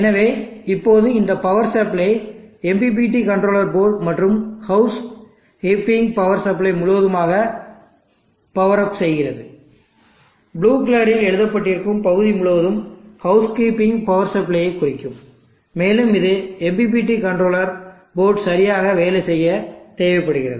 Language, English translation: Tamil, So now completing this power supply powers of this MPPT controller board and along with this house keeping power supply this whole portion return is drawn in blue will form the house keeping power supply and that is needed for the MPPT controller board to work properly